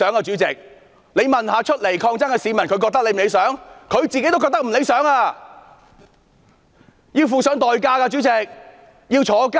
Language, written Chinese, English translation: Cantonese, 主席，即使問站出來抗爭的市民這樣是否理想，他們也不會覺得理想，他們要負上代價，要坐牢。, President even if you ask the people who come out to fight back whether this is desirable they will not find this desirable . It is because they have to pay the price . They have to go to prison